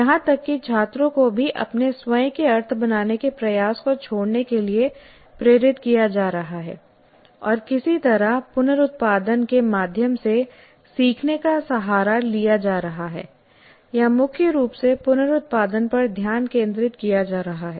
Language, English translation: Hindi, So even the students are, what is happening is they're being pushed to abandon their effort to kind of create their own meanings and somehow resort to learning through reproduction or mainly focus on reproduction